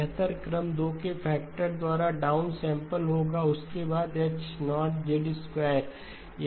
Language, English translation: Hindi, The better order will be downsample by a factor of 2 followed by, H0 of Z square, it will be H0 of Z